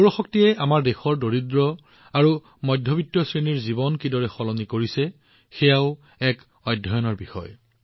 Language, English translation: Assamese, How solar energy is changing the lives of the poor and middle class of our country is also a subject of study